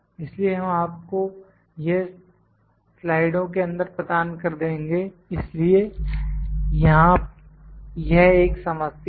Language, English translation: Hindi, So, we will provide you this in the slides, so this is a problem here